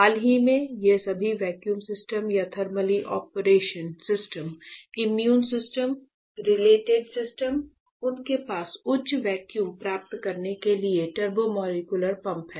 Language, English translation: Hindi, Recently all these vacuum systems or thermally operation systems, immune systems, pertain systems; they have the turbo molecular pump to attain the high vacuum right